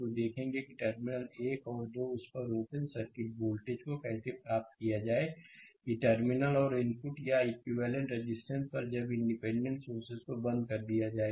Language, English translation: Hindi, So, we will see that how to obtain that open circuit voltage at the terminal 1 and 2 that at the terminal right and input or equivalent resistance at the terminals when the independent your sources are turned off